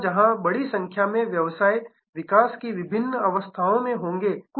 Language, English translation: Hindi, Where there will be number of businesses at different stages of growth